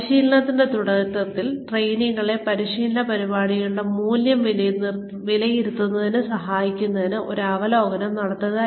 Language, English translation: Malayalam, Provide an overview, at the beginning of training, to help trainees, assess the value of a training program